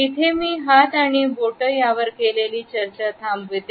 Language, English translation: Marathi, I would conclude my discussion of hands and fingers here